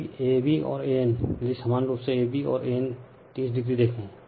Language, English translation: Hindi, So, ab and an, if you look ab and an 30 degree